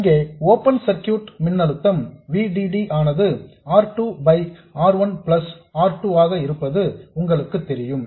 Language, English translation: Tamil, You know the open circuit voltage here, that is VDD times R2 by R1 plus R2